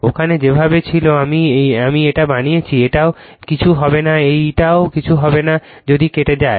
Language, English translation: Bengali, The way it was there I made it this will also nothing this will also nothing, right if it is cut